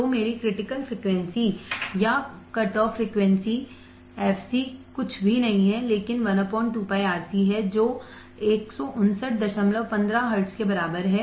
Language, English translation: Hindi, So, my critical frequency or cutoff frequency fc is nothing, but one by 2 pi R C which is equivalent to 159